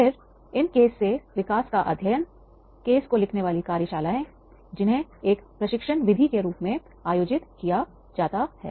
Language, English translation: Hindi, So, this type of the case studies development, those case writing workshops that can be conducted as a method of training